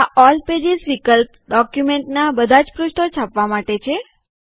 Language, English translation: Gujarati, The All pages option is for printing all the pages of the document